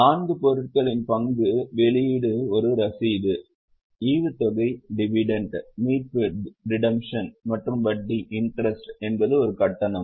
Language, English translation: Tamil, Very simple again, four items, issue of share is a receipt, dividend, redemption and interest is a payment